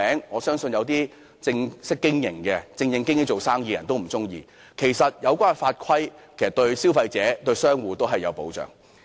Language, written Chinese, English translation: Cantonese, 我相信經營正當生意的人都不會喜歡，其實有關的法規對消費者及商戶都有保障。, I believe any proper merchant will not like this . Therefore these rules and regulations can serve to protect both the consumers and the trade